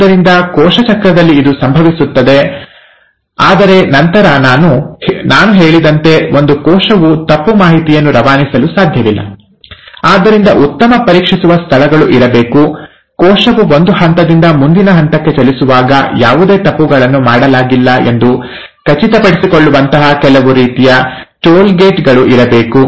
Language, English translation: Kannada, So, this is what happens in cell cycle, but then, as I said, a cell cannot afford to pass on wrong information, so there has to be very good checkpoints, there has to be some sort of toll gates, which make sure, that as the cell moves from one phase to the next phase, no wrongdoings have been done